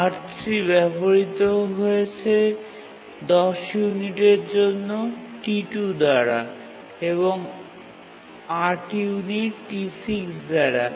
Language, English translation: Bengali, R1 is used for two units by T2 and 5 units by T1